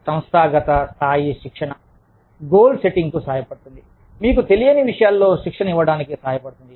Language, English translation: Telugu, Organizational level training, helps goalsetting, helps training in things, that you do not know, very much about